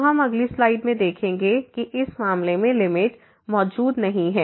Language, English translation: Hindi, So, we will see in this in the next slide now again that limit in this case does not exist